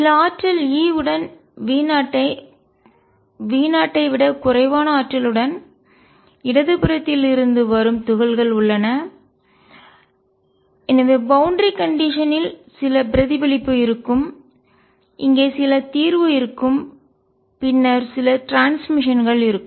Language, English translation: Tamil, There are particles coming from the left with energy less than V 0 with some energy e and therefore, by boundary condition there will be some reflection there will be some solution here and then there will be some transmission